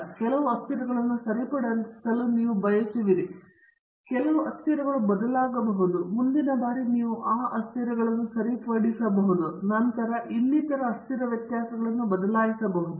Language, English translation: Kannada, You might to want to fix some variables and vary some variables; next time you may fix those variables and then vary some other set of variables so on